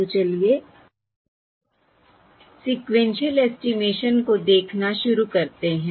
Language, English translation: Hindi, So let us start looking at Sequential Sequential Estimation